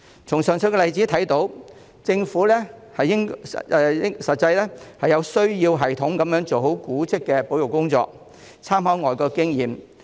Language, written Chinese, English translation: Cantonese, 從上述例子可見，政府實際上需要有系統地做好古蹟的保育工作，並參考外國經驗。, The above mentioned examples show that the Government has to carry out heritage conservation systematically and draw on overseas experience